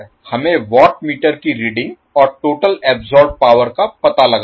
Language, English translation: Hindi, We need to find out the watt meter readings and the total power absorbed